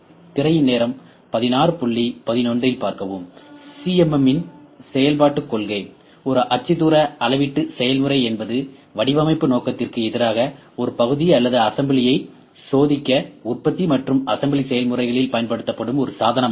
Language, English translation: Tamil, Now, working principle of CMM; a coordinate measuring process is also a device used in manufacturing and assembly processes to test a part or assembly against the design intent